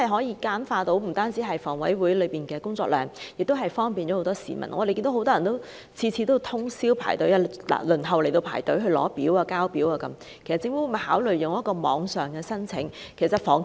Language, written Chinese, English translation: Cantonese, 此舉不但能減輕房委會的工作量，亦能方便市民，因為每次均有很多人通宵排隊輪候索取和遞交表格，那麼政府會否考慮採取網上申請安排？, That way not only the workload of HA can be reduced the public can also enjoy greater convenience . Given that a lot of people would queue up overnight to obtain and submit application forms every time will the Government consider adopting online application arrangements?